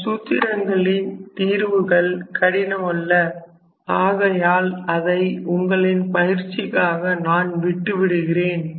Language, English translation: Tamil, And as I was talking the derivation of these formulas are not difficult, so I will leave those task to the students for practice